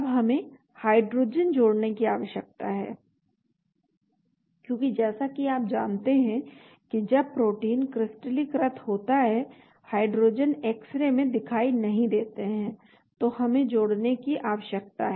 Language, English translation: Hindi, Now we need to add hydrogen because as you know when protein is crystallized hydrogens are not visible in the X ray, so we need to add